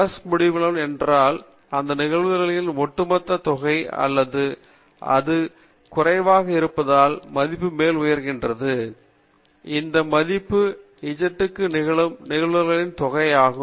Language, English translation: Tamil, If it is plus infinity, it is the overall sum of the probabilities or if it is value less than plus infinity, it will be the sum of the probabilities up to that value z